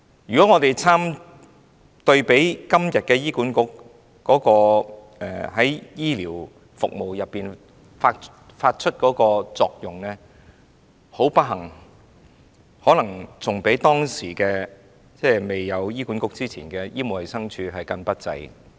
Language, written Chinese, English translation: Cantonese, 如果我們比對今時今日醫管局在醫療服務中發揮的作用，不幸地，可能較以往未有醫管局時的醫務衞生署更加不濟。, It is unfortunate that the function of HA in healthcare services nowadays may be even worse than that of the Medical and Health Department before HA was established